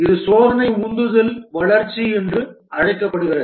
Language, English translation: Tamil, This is called as test driven development